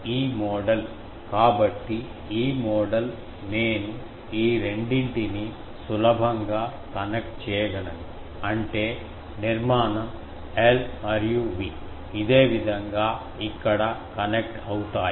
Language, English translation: Telugu, This model, so this model I can easily connect these two so; that means, the structure becomes this I do connect here similarly and V